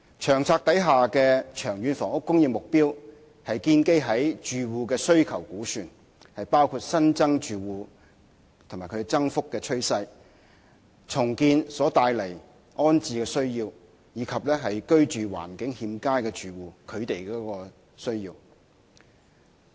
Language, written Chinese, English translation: Cantonese, 《策略》的長遠房屋供應目標是建基於住戶的需求估算，包括新增住戶及其增幅的趨勢，重建所帶來的安置需要，以及居住環境欠佳的住戶的需要。, The long term housing supply target in the LTHS is estimated according to the demand of households including new applicant households and the trend of increase rehousing needs following the redevelopment and also the needs of inadequately housed households